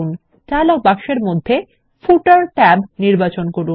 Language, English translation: Bengali, Select the Footer tab in the dialog box